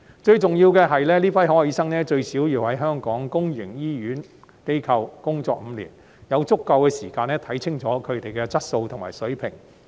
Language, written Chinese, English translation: Cantonese, 最重要的是，這批海外醫生最少要在香港公營醫療機構工作5年，有足夠時間看清楚他們的質素和水平。, Most importantly these overseas doctors have to work in Hong Kongs public healthcare institutions for at least five years thus there will be ample time to observe their quality and professionalism